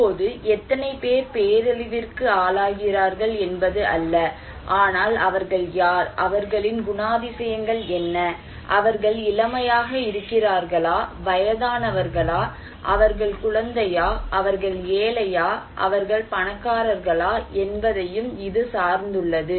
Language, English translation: Tamil, Now, it is not that how many people are exposed, but it also depends that who are they, what are their characteristics, are the young, are they old, are they kid, are they poor, are they rich